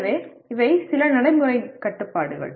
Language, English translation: Tamil, So these are some practical constraints